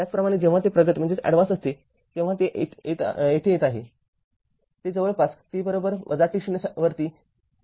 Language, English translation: Marathi, Similarly, when it is advanced it is coming it is starting from somewhere at t is equal to minus t 0 right